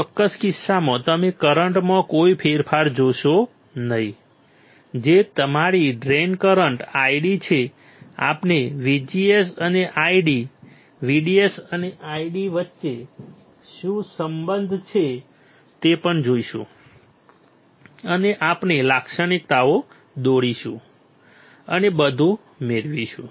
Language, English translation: Gujarati, In this particular case you will not see any change in current that is your drain current ID We will also see what is the relation between VGS and ID, VDS and ID and we will draw the characteristics and derive everything